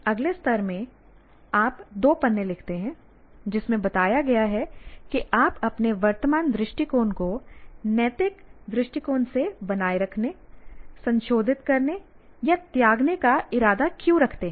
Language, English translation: Hindi, Now, next level, I write a two page paper explaining why he or she intends to maintain a revise or discard his or her present stance on the current genetic experimentation from an ethical point of view